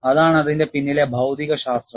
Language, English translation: Malayalam, That is the physics behind it